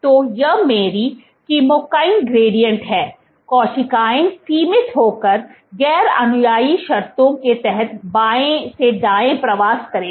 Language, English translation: Hindi, So, this is my chemokine gradient, the cells will migrate from left to right under confinement and non adherent conditions